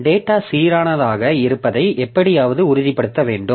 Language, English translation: Tamil, So, we have to somehow ensure that the data is consistent